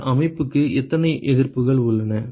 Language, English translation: Tamil, How many resistances are there for this system